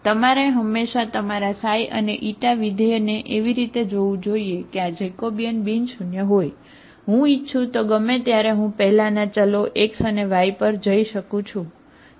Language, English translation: Gujarati, So you should always look for your xi and Eta functions in such a way that this Jacobian is nonzero, I can anytime if I want I can go back to the old variables x and y, okay